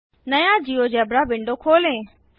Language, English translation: Hindi, Lets open a new GeoGebra window